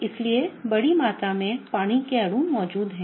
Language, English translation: Hindi, Large amount of water molecules are present